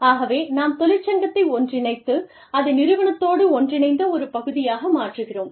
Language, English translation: Tamil, So, we integrate the union, and make it an integral part of the organization